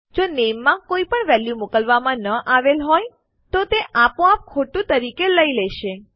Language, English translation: Gujarati, If theres no value sent to name this will automatically assume as false